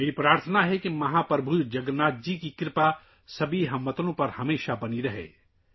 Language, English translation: Urdu, It’s my solemn wish that the blessings of Mahaprabhu Jagannath always remain on all the countrymen